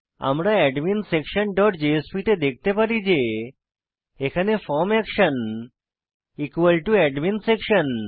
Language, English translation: Bengali, We can see that in adminsection dot jsp we have the form action equal to AdminSection